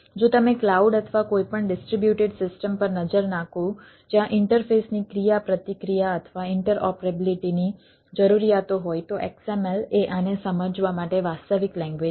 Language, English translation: Gujarati, if you look at the cloud or any distributed systems where a the sort of interact interfaces, interacting or interoperability needs are there, xml is the de facto language to to realize this